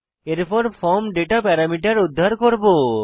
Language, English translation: Bengali, Next, we will retrieve the form data parameters